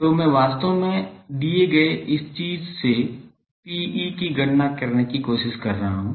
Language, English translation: Hindi, So, I am actually trying to calculate P e from the given this thing